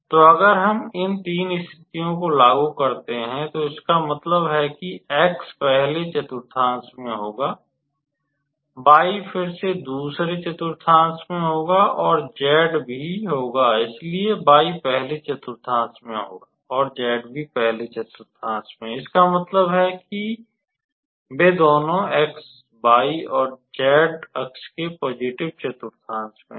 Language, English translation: Hindi, So, if we impose these three conditions that means, x will lie in the first quadrant, y will lie again in the second quadrant, and z will also lie in the so y will also lie in the first quadrant, and z will also lie in this first quadrant, so that means, they are both lying in the positive quadrant of x, y, and z axis